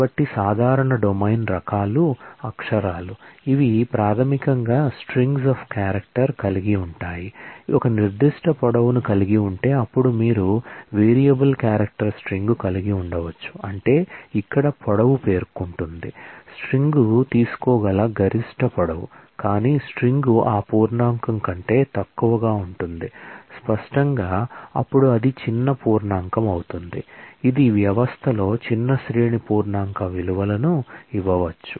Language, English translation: Telugu, So, the common domain types are character which are basically strings of character, having a certain length then you can have variable character string which means that the length here specifies that, the maximum length that the string can take, but a string could be shorter than that integer; obviously, then small integer, which in a system may give a smaller range of integer values